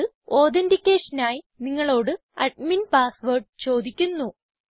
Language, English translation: Malayalam, It will immediately prompt you for the admin password for authentication